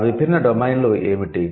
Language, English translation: Telugu, So what are the different domains